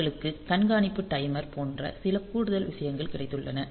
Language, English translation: Tamil, So, they have got some additional things like watchdog timer